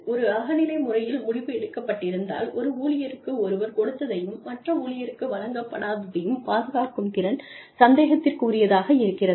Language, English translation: Tamil, If the decision has been made, in a subjective manner, then the ability to defend, what one has given to one employee, and not given to the other employee, becomes a suspect